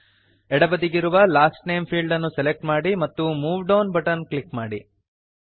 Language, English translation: Kannada, Lets select Last Name field on the left and click the Move Down button